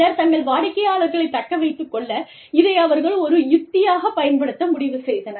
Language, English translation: Tamil, Somebody decided, that this was a strategy, they could use, to keep their clients